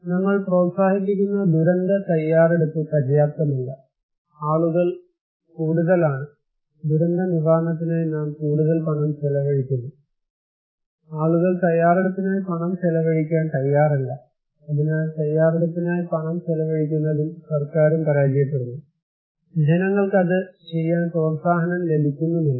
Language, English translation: Malayalam, So, disaster preparedness which we are promoting it is not enough, people are more, we are spending more money on disaster relief, people are not ready to spend money on preparedness so, government is also failing to spend money on preparedness, people are not motivated to do it